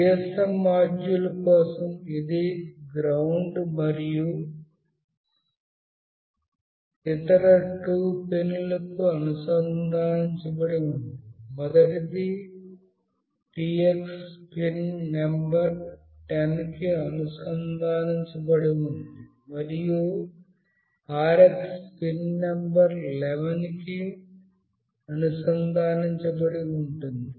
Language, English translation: Telugu, For the GSM module, this is connected to GND and the other 2 pins, the first one is Tx that will be connected to pin number 10, and Rx is connected to pin number 11